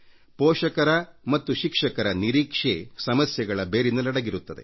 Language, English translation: Kannada, Expectation on the part of parents and teachers is the root cause of the problem